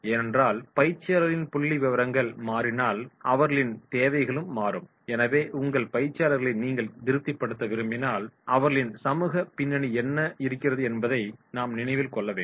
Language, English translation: Tamil, Because if the demographics of the trainees will change, their needs also will change so if you want to satisfy your trainees we have to keep in mind they have demographic background